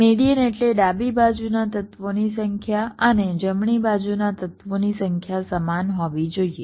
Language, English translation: Gujarati, median means the number of elements to the left and the number of elements to the right must be equal